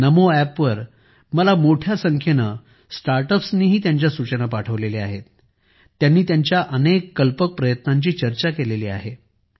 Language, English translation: Marathi, A large number of Startups have also sent me their suggestions on NaMo App; they have discussed many of their unique efforts